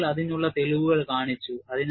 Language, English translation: Malayalam, People have shown evidence of that